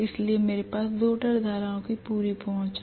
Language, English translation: Hindi, So I have complete access to the rotor currents